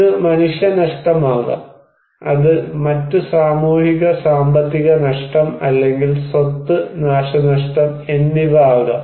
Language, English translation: Malayalam, This could be human loss; it could be other socio economic loss or property damage right